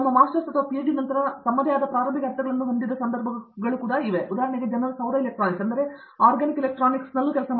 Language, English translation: Kannada, There are of course, also cases where after their Masters or PhD they have their own start ups, people have started for example, Solar electronics, I mean Organic electronics